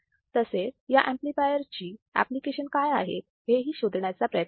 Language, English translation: Marathi, And also see how what is the application of this amplifiers all right